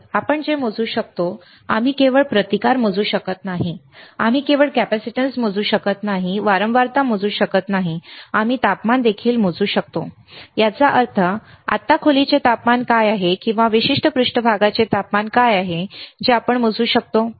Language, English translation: Marathi, So, what we can measure, we cannot only measure the resistance, we cannot only measure the capacitance, we cannot only measure the frequency we can also measure the temperature; that means, what is the room temperature right now, or what is the temperature of particular surface that we can measure